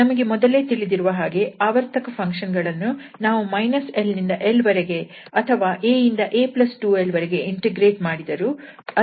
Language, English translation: Kannada, And we can we know already for periodic function where are you integrate from minus l to l or from a to a plus 2l, the value will be the same